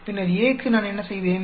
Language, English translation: Tamil, Then for A what did I do